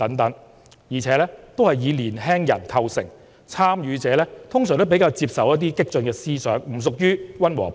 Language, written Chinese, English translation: Cantonese, 這些參與者主要是年輕人，他們通常比較接受激進的思想，不屬於溫和派。, These are mainly young people and they are more apt to accept radical ideas . They do not identify with the moderates